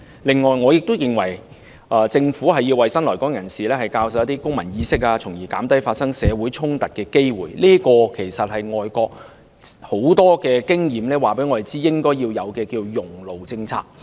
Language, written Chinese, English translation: Cantonese, 另外，我亦認為政府要為新來港人士教授公民意識，從而減低發生社會衝突的機會，這其實是外國很多經驗告訴我們，應該要設有"熔爐政策"。, Moreover I also consider it necessary for the Government to promote civic awareness among new arrivals thereby Minimizing social conflicts . This is actually a melting pot policy that we should put in place as shown by many overseas experiences